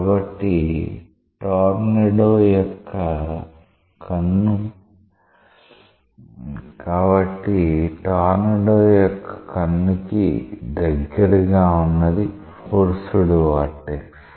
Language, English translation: Telugu, So, a tornado very close to the eye of the tornado, it is up to that it is a force vortex